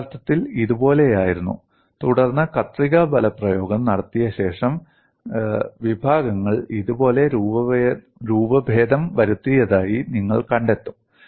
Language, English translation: Malayalam, It was originally like this , then after the shear force is applied, you find that the sections have deformed like this